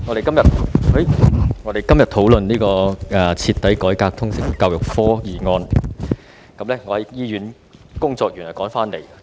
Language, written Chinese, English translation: Cantonese, 主席，我們今天討論"徹底改革通識教育科"的議案。, President we are discussing the motion on Thoroughly reforming the subject of Liberal Studies today